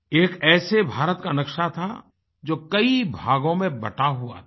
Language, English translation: Hindi, It was the map of an India that was divided into myriad fragments